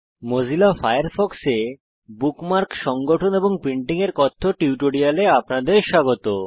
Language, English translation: Bengali, Welcome to the Spoken Tutorial on Organizing Bookmarks and Printing in Mozilla Firefox